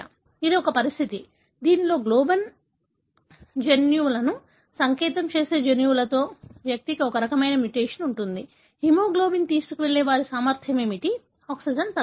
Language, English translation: Telugu, This is a condition, wherein, the individual having this kind of a mutation in a gene that codes for the globin genes, what happen is their capacity to carry hemoglobin, the oxygengoes down